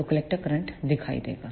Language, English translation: Hindi, So, the collector current will appear